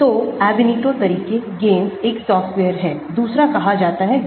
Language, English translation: Hindi, So, the Ab initio methods; GAMESS is one software, another one is called Gaussian